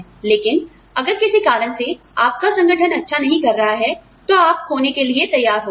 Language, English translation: Hindi, But, if for some reason, your organization is not doing well, then you stand to lose